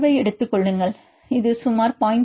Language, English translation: Tamil, Take the correlation, this will about the around 0